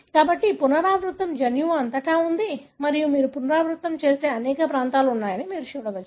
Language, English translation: Telugu, So, these repeat are present all over the genome and you can see that there are several regions you have the repeat